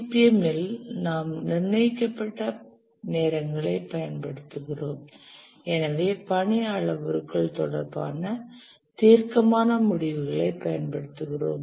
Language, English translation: Tamil, And in CPM we use deterministic times and therefore we use deterministic conclusions regarding the task parameters